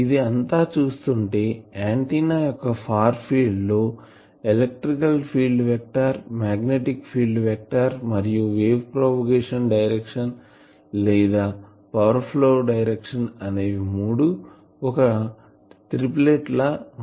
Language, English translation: Telugu, It shows that in the far field of an antenna the electric field vector, magnetic field vector and the direction of wave propagation, or direction of power flow, they are also forming a triplet